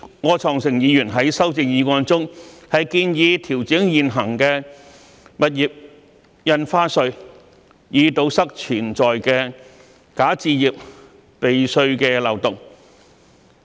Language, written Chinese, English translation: Cantonese, 柯創盛議員在修正案中，建議調整現行的物業印花稅，以堵塞潛在的"假首置"避稅的漏洞。, Mr Wilson OR has proposed in his amendment that the existing stamp duty on property transactions should be adjusted to plug potential tax avoidance loopholes for bogus first home purchase